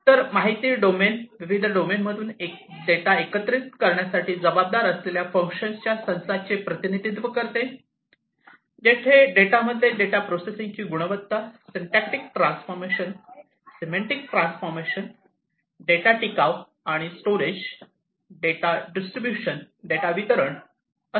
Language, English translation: Marathi, So, the information domain represents the set of functions responsible for assembling the data from various domains, where the data consists of quality of data processing, syntactic transformation, semantic transformation, data persistence, and storage and data distribution